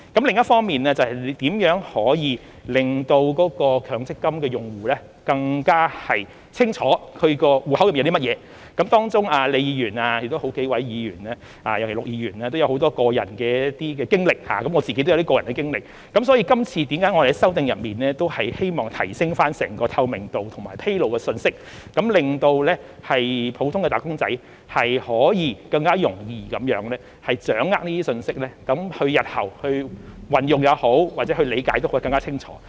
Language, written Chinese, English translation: Cantonese, 另一方面，是如何可以令強積金用戶更加清楚其戶口內有甚麼，當中李議員、好幾位議員和陸議員也有很多個人的經歷，我自己亦有一些個人的經歷，所以今次我們在修訂中希望提升透明度及披露信息，令普通的"打工仔"可以更容易掌握這些信息，在日後運用或理解時也更清楚。, On the other hand it is about how to help MPF users to know their own accounts better . Ms LEE several Members and Mr LUK also have a lot of personal experience and I myself also have some personal experience . Hence we want to enhance transparency and disclosure of information in this amendment exercise so that wage earners in general may grasp such information more easily and have a clearer understanding when they making use and making sense of it in the future